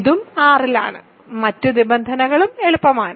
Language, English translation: Malayalam, This is also in R and the other conditions are also easy ok